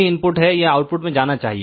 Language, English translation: Hindi, Whatever is the input it should go to the output